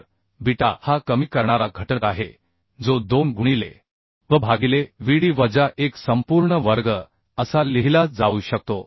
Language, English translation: Marathi, So beta is a reduction factor which can be written as 2 into V by Vd minus 1 whole square